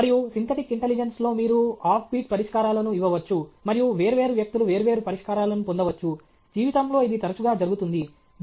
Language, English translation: Telugu, And also, in a synthetic intelligence, you can give off beat solutions and different people can get different solutions; that is often the case in life